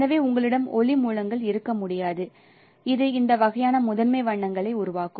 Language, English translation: Tamil, So you cannot have light sources which will produce this kind of primary colors